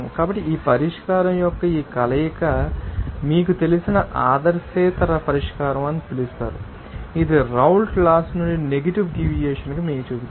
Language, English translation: Telugu, So, this combination of this solution you can call that are you know, non ideal solution, which will show you the negative deviation from the Raoult’s law